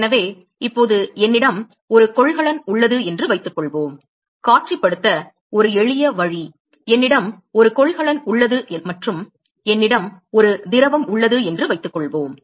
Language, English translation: Tamil, So, now, suppose I have a container, a simple way to visualize, suppose I have a container and I have a fluid let us say